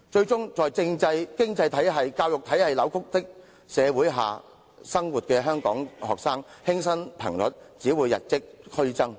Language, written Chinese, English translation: Cantonese, 香港學生在政制、經濟體系、教育體系出現扭曲的社會生活，輕生頻率只會與日俱增。, The suicide rate of Hong Kong students will only continue to rise since they are living in a society with distorted political economic and education systems